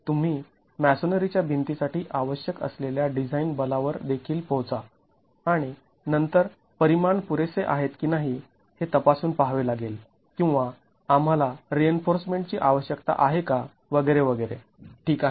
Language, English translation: Marathi, We will also arrive at the design forces that are required for the masonry walls and then examine if the dimensions are adequate or do we need reinforcement and so on